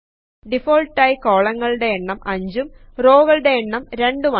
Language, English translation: Malayalam, By default, Number of columns is displayed as 5 and Number of rows is displayed as 2